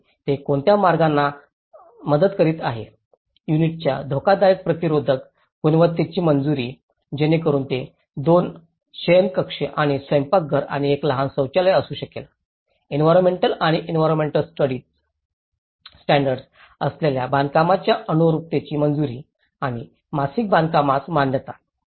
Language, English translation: Marathi, And what are the ways they were assisting, approval of hazard resistant quality of the units so it could be a 2 bedroom and a kitchen and 1 small toilet, approval of the conformance of the construction with ecological and environmental standards and approval of the monthly construction payments